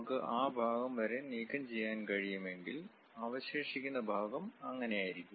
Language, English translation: Malayalam, So, if we can remove this part, the left over part perhaps looks like that